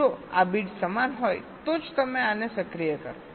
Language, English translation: Gujarati, only if this bits are equal, then only you activate this